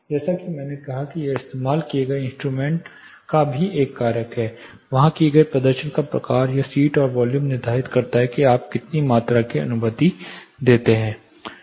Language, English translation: Hindi, As I said it is a factor the instruments used the type of performance done there it determines seat and the volume, how much volume you allow